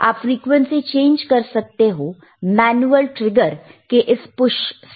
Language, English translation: Hindi, yYou can change the frequency with this push for manual trigger right